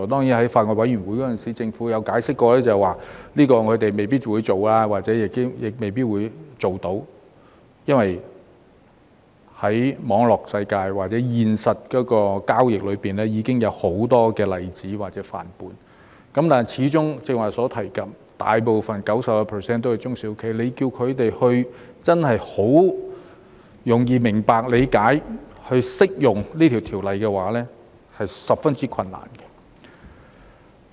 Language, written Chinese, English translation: Cantonese, 在法案委員會上，政府曾解釋它們未必會做或做得到，就是由於在網絡世界或現實交易中，已經有很多例子或範本，但始終像剛才所提及，香港畢竟大部分企業中 90% 也是中小企，要它們容易明白理解及使用這項條例草案，其實是十分困難的。, In the Bills Committee the Government explained that it might not do so or not be able to do so because there were already many examples or models in the cyber world or in real life transactions but after all as Members have mentioned earlier 90 % of the enterprises in Hong Kong are SMEs and it will be very difficult for them to understand and make use of this Bill easily . Deputy President in addition we know that under the 14th Five - Year Plan of our country it is expected that Hong Kong will become an international trade hub